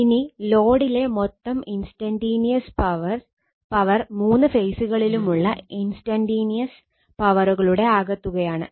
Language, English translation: Malayalam, Now, the total instantaneous power in the load is the sum of the instantaneous power in the three phases right, so all the three phases right